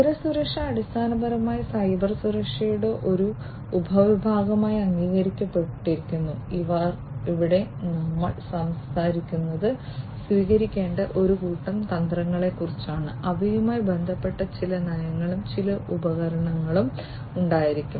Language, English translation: Malayalam, Information security, it is basically recognized as a subset of Cybersecurity, where we are talking about a set of strategies that should be adopted, which will have some policies associated with it, some tools and so on